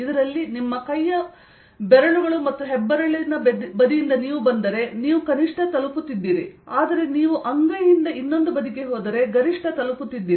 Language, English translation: Kannada, in this, if you come from the side of your fingers and thumb, you are hitting a minimum, but if you go from the palm to the other side, you hitting a maximum